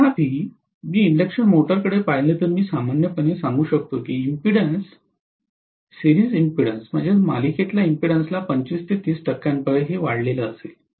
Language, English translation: Marathi, Whereas, if I look at an induction motor I can say normally the impedances, series impedances will add up to 25 to 30 percent